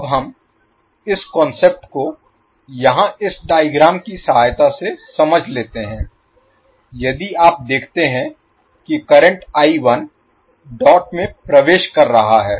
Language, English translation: Hindi, Now let us understand this particular concept with the help of this figure here if you see the current I1 is entering the dot